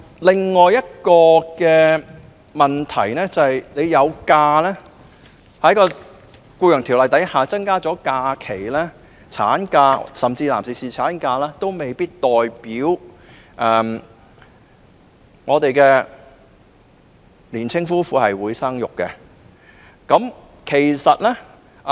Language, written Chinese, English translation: Cantonese, 可是，即使政府在《僱傭條例》中增加產假，甚至是男士侍產假的日數，也未必代表香港的年輕夫婦會選擇生育。, Yet even if the Government increases the number of maternity leave days and even that of paternity leave it does not necessarily mean that local young couples will choose to have children